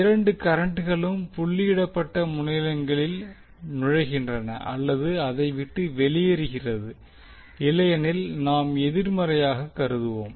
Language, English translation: Tamil, Both currents enter or leave the dotted terminals otherwise we will consider as negative